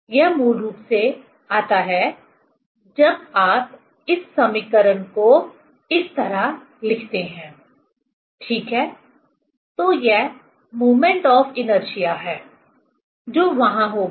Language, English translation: Hindi, It comes basically when you write this equation like this, ok, so this moment of inertia that will be there